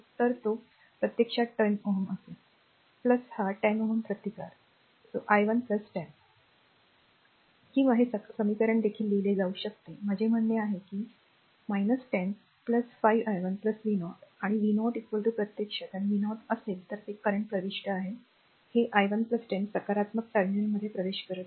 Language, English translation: Marathi, Or this this equation also can be written I mean if you want that it will be your minus 10 plus ah your 5 i 1 plus v 0, and v 0 is equal to actually and v 0 actually it is current entering into this i 1 plus 10 entering the positive terminal